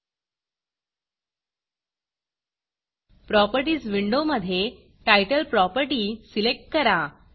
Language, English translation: Marathi, In the Properties window, select the Title property